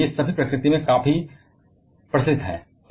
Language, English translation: Hindi, So, all of them are quite prevalent in nature